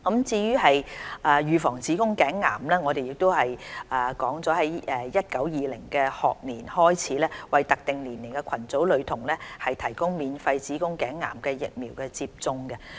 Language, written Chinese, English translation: Cantonese, 為預防子宮頸癌，我們將於 2019-2020 學年開始為特定年齡組群女學童提供免費子宮頸癌疫苗接種。, Starting from the 2019 - 2020 school year we will introduce free HPV vaccination to school girls of particular age groups as a public health strategy for prevention of cervical cancer